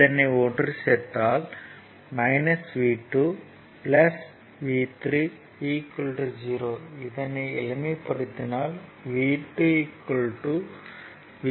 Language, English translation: Tamil, So, minus v 2 plus v 3 same thing is 0 so, v 3 is equal to v 2, right